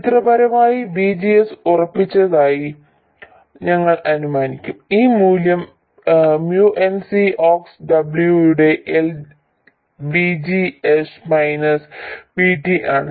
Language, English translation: Malayalam, And GM changes from you can see this VDS will be zero initially, 0 to MN C Ox W by L VGS minus VT